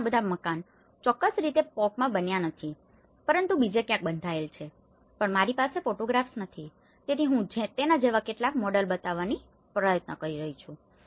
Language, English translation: Gujarati, And there all, this is not the house exactly built in the POK but built elsewhere but I do not have the photographs, so I am trying to show some similar models of it